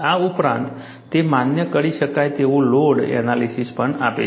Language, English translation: Gujarati, In addition to this, it also provides allowable load analysis